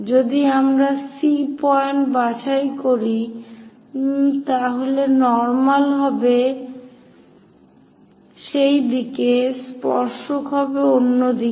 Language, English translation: Bengali, If we are picking C point normal will be in that direction, tangent will be in other direction